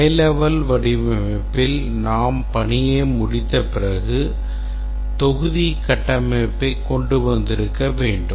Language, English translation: Tamil, In the high level design, after we complete this task we should have come up with a with the module structure